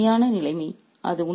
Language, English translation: Tamil, What a painful situation